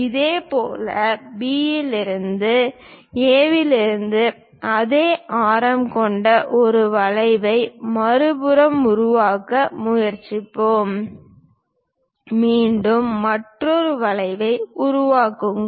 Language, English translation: Tamil, Similarly, from B, I will try to construct on the other side one more arc with the same radius from A; again, construct another arc